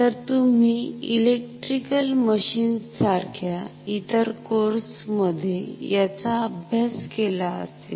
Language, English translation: Marathi, So, you may have studied this in any other course like electrical machines ok